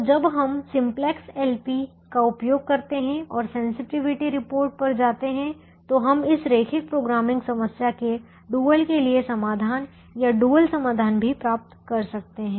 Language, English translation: Hindi, so when we use the simplex, l, p and go to the sensitivity report, we can also get the dual solution or solution to the dual of this linear programming problem